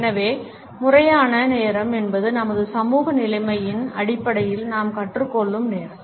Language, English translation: Tamil, So, formal time is the time which we learn on the basis of our social conditioning